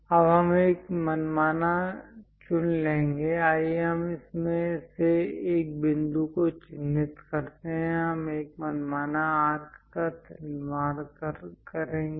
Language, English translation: Hindi, Now, we are going to pick an arbitrary; let us mark a point from this, we are going to construct an arbitrary arc